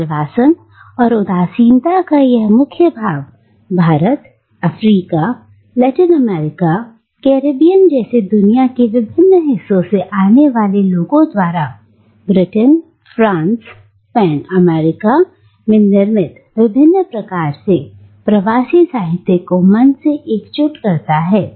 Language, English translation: Hindi, And this sense of exile and nostalgia forms the keynote which unites the otherwise mind bogglingly wide variety of diasporic literature produced in Britain, France, Spain, America, by people coming from different parts of the world like India, Africa, Latin America, the Caribbean islands